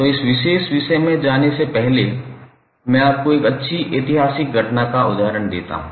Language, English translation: Hindi, So, before going into this particular topic today, let me give you one good historical event example